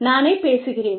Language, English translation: Tamil, I talk to myself